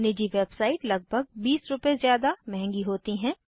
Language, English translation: Hindi, Private websites are more expensive about Rs